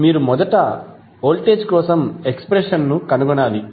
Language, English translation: Telugu, You have to first find the expression for voltage